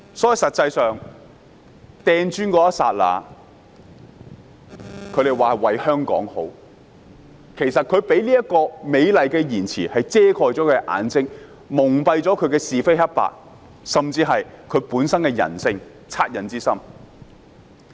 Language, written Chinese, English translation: Cantonese, 他們說投擲磚頭是為了香港好，但他們用這個美麗的謊言遮蓋自己的眼睛，蒙蔽是非黑白，甚至本身人性的惻隱之心。, They said they hurled bricks for the good of Hong Kong but they used this beautiful lie to cover up their own eyes confuse right and wrong and even conceal compassion in their hearts